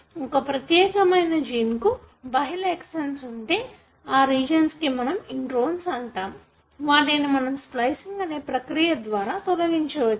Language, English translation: Telugu, But as and when a particular gene has multiple exons, these regions which you call as introns are removed by this process called as splicing